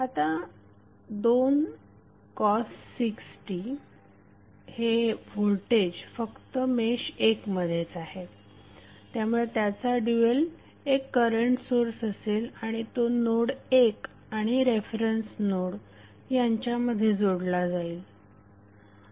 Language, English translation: Marathi, Now voltage 2 cos 6t we appear only in mesh 1 so it’s dual would be current source and the value would be 2 cos 6t therefore it is connected only to node 1 and the reference node